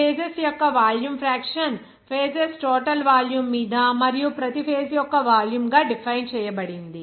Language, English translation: Telugu, The volume fraction of phases is defined as the volume of each space upon the total volume of phases